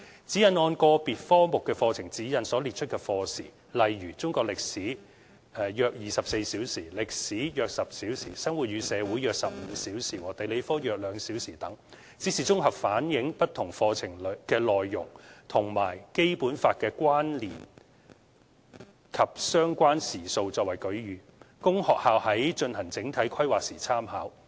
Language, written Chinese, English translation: Cantonese, 《指引》按個別科目的課程指引所列出的課時，例如中國歷史、歷史、生活與社會和地理科等，只是綜合反映不同課程內容與《基本法》的關聯及相關時數作為舉隅，供學校在進行整體規劃時參考。, The lesson hours set out in SECG basing on the curriculum guides of different subjects such as Chinese History History Life and Society and Geography are examples demonstrating the relationship between various subject contents and the Basic Law and related lesson hours for reference of schools when making their holistic planning